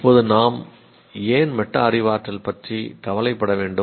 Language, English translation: Tamil, Now why should we be concerned about metacognition